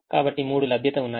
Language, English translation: Telugu, so the three availabilities